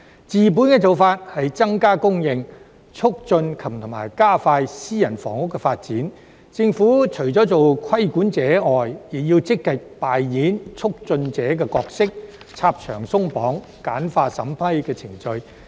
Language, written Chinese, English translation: Cantonese, 治本的做法是增加供應，促進及加快私人房屋的發展，當中政府除了做規管者外，亦要積極扮演促進者的角色，拆牆鬆綁，簡化審批程序。, To get to the root of the problem we need to increase supply as well as facilitate and accelerate private housing development . Other than the role of a regulator the Government should also actively play the role of a facilitator to remove barriers and streamline the approval procedure